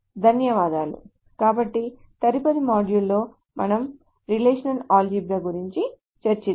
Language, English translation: Telugu, So in the next module we will talk about relational algebra